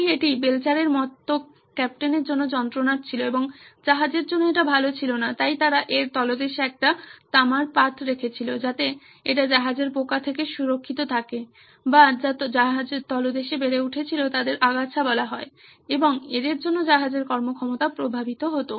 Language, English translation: Bengali, So it was a pain for the captain, captain like Belcher and that was not so good for the ship so they put up a copper sheet underneath so that it is protected from the ship worms as they were called or weeds which grew underneath and affected the performance of the ship